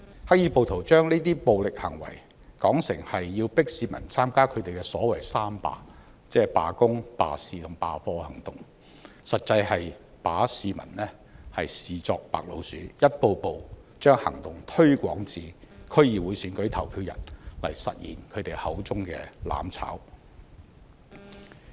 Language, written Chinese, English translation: Cantonese, 黑衣暴徒把這些暴力行為，說成是要迫市民參加他們的所謂"三罷"，即罷工、罷市和罷課行動，實際是把市民視作白老鼠，一步步把行動推向區議會選舉投票日，來實現他們口中的"攬炒"。, The black - clad rioters said that the purpose of such violent acts was to force people to take part in a general strike on three fronts by the labour business and education sectors . In fact they were treating people as guinea pigs and gradually extending their actions till the polling day of the DC Election so as to achieve the objective of burning together